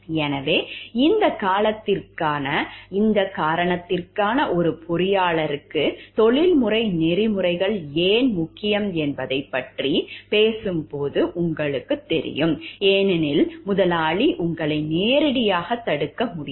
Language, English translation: Tamil, So, this is where you know, like when you talking of, why professional ethics is important for an engineer due to this reason, because the employer may not directly stop you, may not be able to stop you